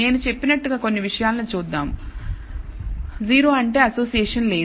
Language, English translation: Telugu, Let us look at some of the things as I said 0 means no association